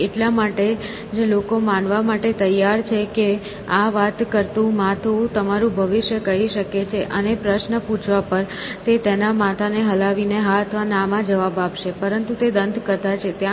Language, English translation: Gujarati, So, that is why people are willing to believe that this talking head can tell your future; and on being asking a query, it would reply yes or no by shaking his head essentially, but all that is in myth, essentially